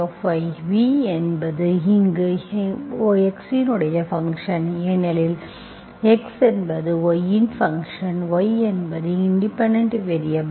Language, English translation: Tamil, v, where v is a function of x because x is a function of y, y, y is the independent variable, so v should be function of y